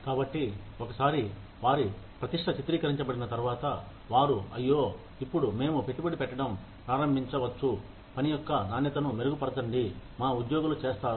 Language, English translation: Telugu, So, once their reputation is stabilized, then, they will say, ay, now, we can start investing in improving the quality of the work, our employees do